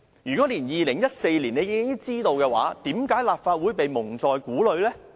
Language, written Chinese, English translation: Cantonese, 如果在2014年已經作出決定，為何立法會一直被蒙在鼓裏呢？, If the decision was made in 2014 why has the Legislative Council been kept in the dark all along?